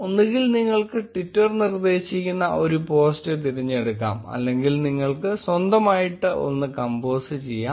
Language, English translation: Malayalam, You can either choose a tweet suggested by twitter or compose one yourself